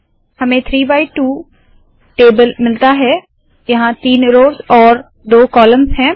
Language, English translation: Hindi, We get the 3 by 2 table, there are three rows and 2 columns